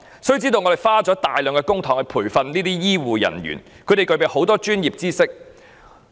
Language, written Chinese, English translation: Cantonese, 須知道，我們花了大量公帑培訓醫護人員，他們具備豐富專業知識。, Members should realize that we have trained up healthcare personnel with large sums of public money and equipped them with very rich professional knowledge